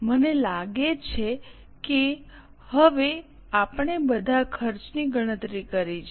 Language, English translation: Gujarati, I think since now we have calculated all the costs